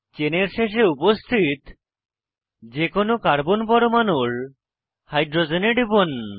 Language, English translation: Bengali, Click on hydrogen on any of the carbon atoms present at the end of the chain